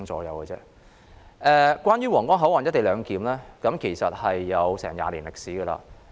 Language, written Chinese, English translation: Cantonese, 有關在皇崗口岸實施"一地兩檢"安排的討論其實已有20年歷史。, The discussion on implementing co - location arrangement at Huanggang Port actually has a history of 20 years